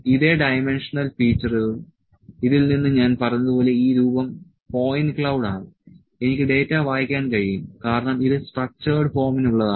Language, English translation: Malayalam, This same three dimensional feature, this shape like I said from this is point cloud, I can read the data, I can because is for the structured form